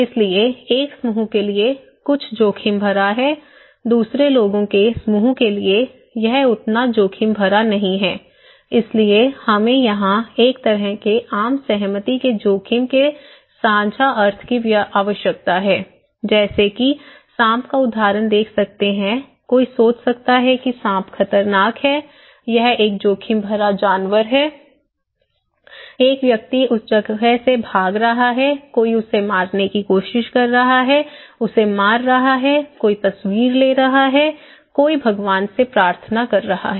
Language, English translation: Hindi, So, one group something is risky, for another group of people, it is not that risky so, we need a kind of consensus shared meaning of risk here, you can see the example like a snake when you someone is thinking that snake is dangerous, it is a risky animal, a person is escaping from that place, someone is trying to beat him, kill him, someone is taking picture, someone is praying to the God